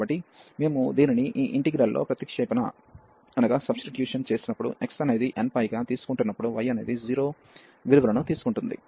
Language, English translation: Telugu, So, when we substitute this in this integral, so when the x was taking n pi values, the y will take 0 values